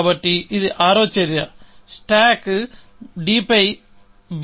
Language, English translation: Telugu, So, this is the sixth action; stack b on d